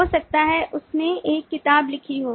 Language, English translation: Hindi, that is, professor wrote books